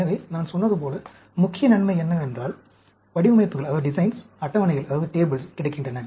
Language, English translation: Tamil, So, the main advantage as I said is, there are designs, tables available